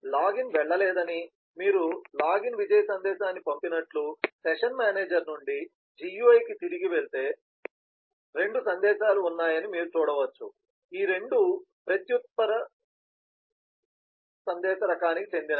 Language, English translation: Telugu, that say that the login did not go through else you sent a login success message, so you can see there are two messages that go back from the session manager to the gui, both of these are of reply message kind